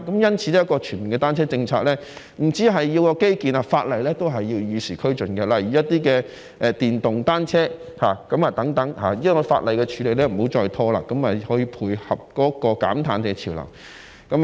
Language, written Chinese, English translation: Cantonese, 因此，一個全面的單車政策，不單需要基建，在法例上也需與時俱進，例如在電動單車方面，希望當局在法例的處理上不要再拖延，以配合減碳潮流。, A comprehensive bicycle policy not only requires infrastructure but also needs to keep abreast with the times in terms of legislation such as that for electric bicycles . I hope that the authorities will not procrastinate when dealing with the law so that we can keep up with the trend of carbon reduction